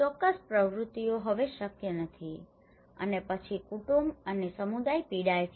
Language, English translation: Gujarati, Certain activities are no longer possible and then the family and the community suffers